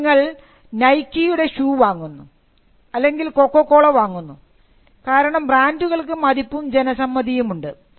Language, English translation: Malayalam, So, now you could buy a Nike shoe or purchase Coca Cola because, the brands had a repetition which conveyed quite a lot of information to the buyer